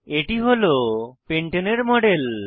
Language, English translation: Bengali, This is a model of pentane on the panel